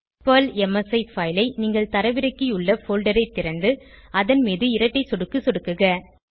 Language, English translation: Tamil, Open the folder where you have downloaded PERL msi file and double click on it